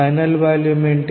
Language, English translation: Telugu, What is the final volume